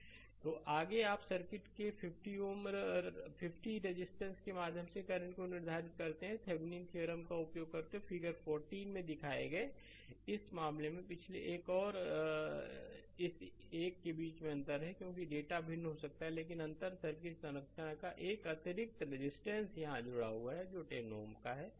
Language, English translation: Hindi, So, next is you determine the current through 50 ohm resistor of the circuit, shown in figure 40 using Thevenin’s theorem, in this case difference between the previous one and this one that here data may be different, but structure of the circuit in difference that one extra resistance is connected here that is 10 ohm right